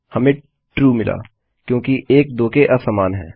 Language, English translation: Hindi, Well get False here because 1 is equal to 1